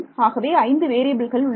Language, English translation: Tamil, So, there will be 5 variables